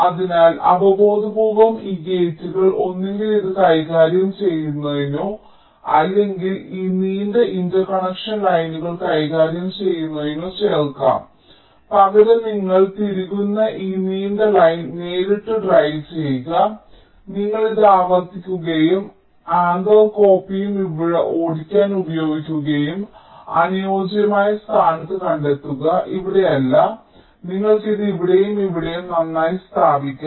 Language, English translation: Malayalam, so intuitively, this gates can be inserted either to handle this or to handle this long interconnection lines, maybe instead driving directly this long line, you insert, you replicate it and anther copy to use which will be used to drive these and these gate you can locate in a suitable position, not here may be, you can place it here and here